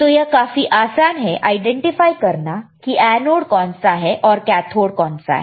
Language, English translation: Hindi, So, this is very easy to identify the diode is anode or diode is cathode